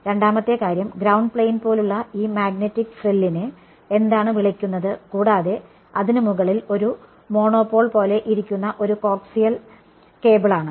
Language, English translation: Malayalam, The second thing is what is called this magnetic frill which it is like a ground plane and a coaxial cable sitting on top of it like a monopole